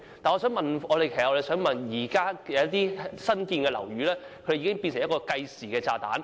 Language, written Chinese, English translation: Cantonese, 我的補充質詢是關於現在有些新落成的樓宇已經變成了計時炸彈。, Some new buildings have become time - bombs and this is what my supplementary question is all about